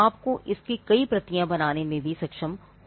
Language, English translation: Hindi, You should be able to make multiple copies of it